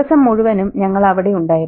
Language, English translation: Malayalam, We've been there outside throughout the day